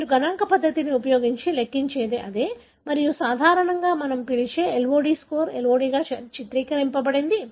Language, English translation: Telugu, So, that is what you calculate by using a statistical method and that is what depicted as LOD score, LOD that normally we call